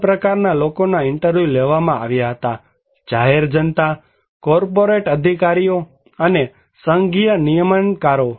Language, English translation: Gujarati, Three kind of people were interviewed; general public, corporate executives, and federal regulators